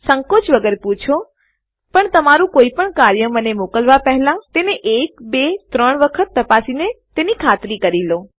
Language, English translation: Gujarati, Feel free to ask, but make sure you check your work once, twice or even thrice before you send me anything